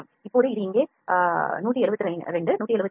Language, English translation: Tamil, Now it is showing 172 172